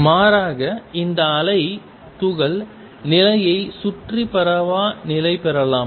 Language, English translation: Tamil, Rather, this wave could be localized around the particle position